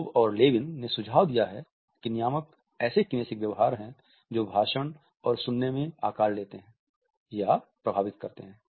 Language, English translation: Hindi, Rowe and Levine have suggested that regulators are kinesic behaviors that shape or influence turn taking in his speech and listening